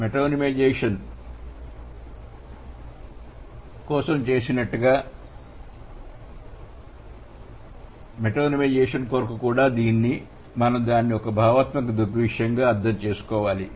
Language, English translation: Telugu, Just like we did for metaphorization, for metonymization also we need to understand it as a conceptual phenomenon